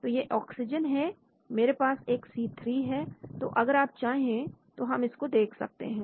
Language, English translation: Hindi, Now this is oxygen, I have a C3 here so we can have a look at this if you want